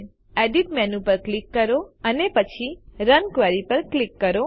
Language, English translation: Gujarati, Click on Edit menu and then click on Run Query